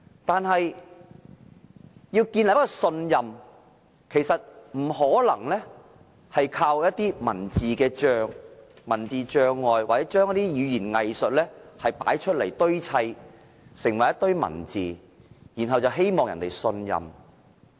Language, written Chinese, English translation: Cantonese, 但是，要建立信任，其實不可能只倚靠以一些文字組成障礙，又或是利用語言"偽術"堆砌出一些文字，然後希望別人信任。, Nevertheless we cannot build trust by means of constructing some obstacles with written words or making use of some weasel words to pad out some written words and expect others to trust us